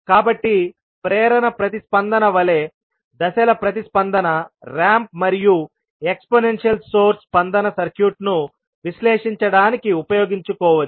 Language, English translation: Telugu, So, like impulse response, step response, ramp and exponential source response can be utilize for analyzing the circuit